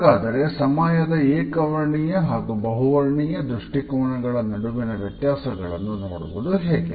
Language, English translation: Kannada, So, how do we look at the differences between the monochronic and polychronic orientations of time